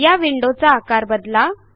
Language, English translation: Marathi, Let me resize this window